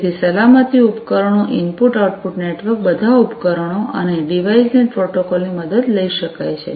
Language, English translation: Gujarati, So, you know safety devices, input output networks, etcetera, could all take help of the devices and DeviceNet protocol